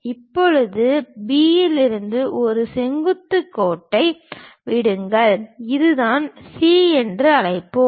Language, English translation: Tamil, Now from B drop a vertical line, that is this one let us call C